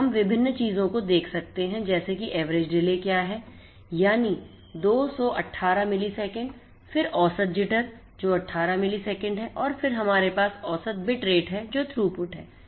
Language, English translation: Hindi, And we can see different things like what is the average delay, this is the average delay that is 218 milliseconds, then average jitter which is 18 millisecond and then we have the average bit rate which is the throughput